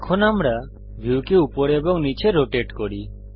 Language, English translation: Bengali, Now we rotate the view up and down